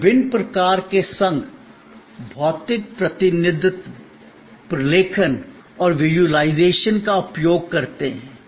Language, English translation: Hindi, We use different sort of association, physical representation, documentation and visualization